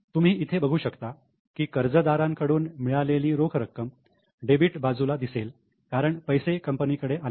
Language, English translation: Marathi, You can see here cash received from daters will appear on debit side because the money has come in